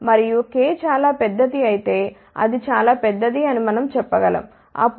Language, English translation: Telugu, And, if k is very large we can say if it is very large, then k square will be much greater than 1